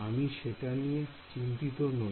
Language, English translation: Bengali, Well I would not worry about it